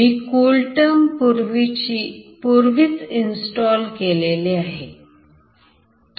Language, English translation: Marathi, I have already installed CoolTerm and this is how it goes